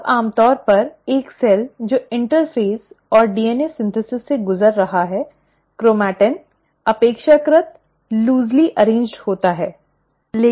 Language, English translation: Hindi, Now normally, in a cell which is undergoing interphase and DNA synthesis, the chromatin is relatively loosely arranged